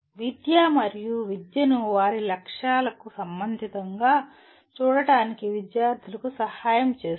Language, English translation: Telugu, Helping students see schooling and education as personally relevant to their interests and goals